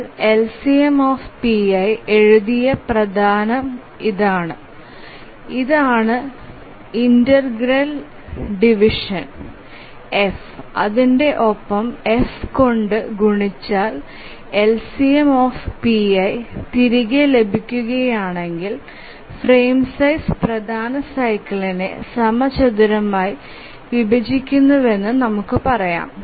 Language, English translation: Malayalam, The major cycle you have written LCMPI and this is the integer division F and when multiplied by F if we get back the LCMPI then you can say that the frame size squarely divides the major cycle